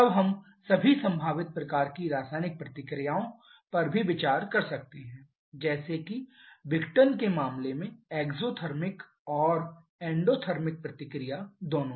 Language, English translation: Hindi, Then we can also consider all possible kinds of chemical reactions both exothermic and endothermic reactions like in case of dissociation